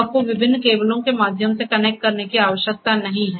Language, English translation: Hindi, You do not have to connect through the different cables